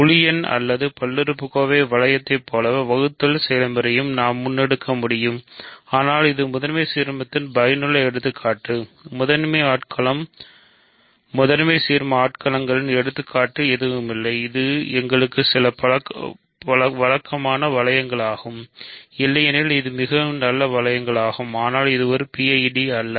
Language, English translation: Tamil, So, we can carry out the division process exactly as in the case of integers or in the polynomial ring, but this is a useful example of principal ideal domain; what is not an example of principal domain principal ideal domain and it is this some familiar ring to us it is a very nice ring otherwise, but this is not a PID